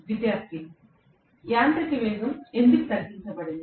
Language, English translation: Telugu, Student: I don’t understand why mechanical speed is reduced